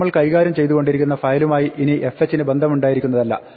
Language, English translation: Malayalam, It also now means that fh is no longer associated with the file we are dealing with